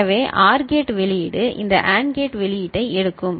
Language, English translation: Tamil, So OR gate output will be taking this AND gate output